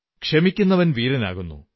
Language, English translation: Malayalam, The one who forgives is valiant